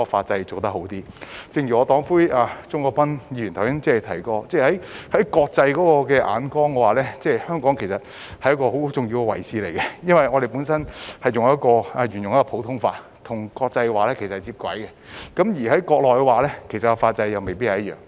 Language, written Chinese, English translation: Cantonese, 正如我的黨魁鍾國斌議員剛才提過，香港在國際眼中擔當很重要的位置，因為我們沿用普通法，與國際接軌，但國內的法則未必一樣。, As Mr CHUNG Kwok - pan our party leader has just mentioned Hong Kong is very important in the eyes of the international community because we follow a common law system and are geared to international standards only that the rules and regulations in the Mainland may not be the same